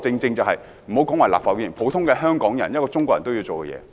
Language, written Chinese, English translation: Cantonese, 這是立法會議員、普通香港人和中國人都會做的事。, This is what any Member of the Legislative Council member of the public and Chinese will do